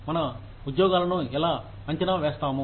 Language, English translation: Telugu, How do we evaluate our jobs